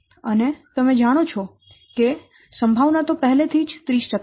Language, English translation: Gujarati, And you know the chance is already 30 percent